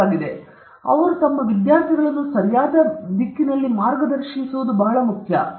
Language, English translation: Kannada, And it is very important that people should guide their students properly, their trainees also properly